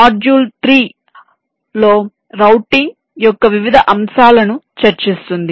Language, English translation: Telugu, module three would discuss the various aspects of routing